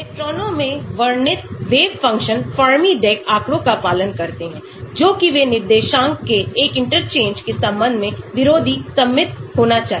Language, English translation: Hindi, Wave functions described in electrons obey Fermi Dirac statistics that is they must be anti symmetric with respect to an interchange of coordinates